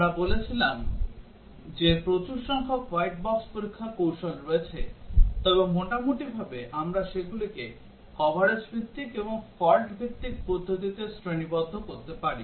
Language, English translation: Bengali, We said that there are large numbers of white box test strategies, but roughly we can classify them into coverage based ones and fault based ones